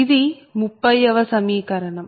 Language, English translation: Telugu, that is equation thirty